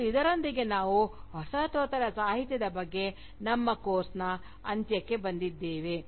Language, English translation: Kannada, And, with this, we come to an end of our course, on Postcolonial Literature